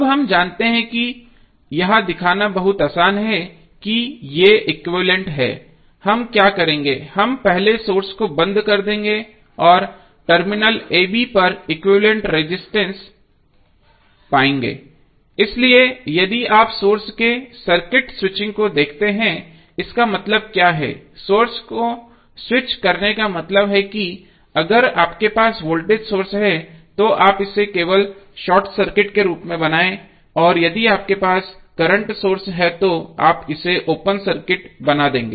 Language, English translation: Hindi, Now, we know that it is very easy to show that these are equivalent what we will do, we will first turn out the source and we will find the equivalent resistance across the terminal ab, so if you see this circuit switching of the source means what, switching of the source means if you have a voltage source you will simply make it as a short circuit and if you have a current source you will make it as a open circuit, so this will be opened if you are having the voltage source or short circuit if are having current source it will be open circuited if you have voltage source it will be short circuited